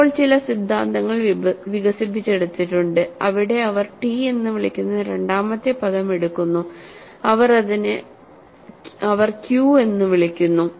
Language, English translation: Malayalam, Now, some theories have been developed, where they take the second term, which they called it as t, which they call it as q